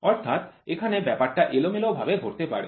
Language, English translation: Bengali, So, here there is lot of randomness involved